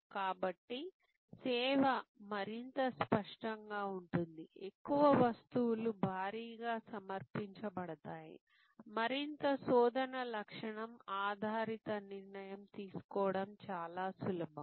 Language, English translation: Telugu, So, more tangible is the service, the more goods heavy is the offering, the more search attribute based decision making taking place which is comparatively easier